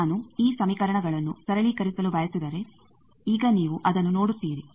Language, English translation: Kannada, Now you see that, if I want to simplify these equations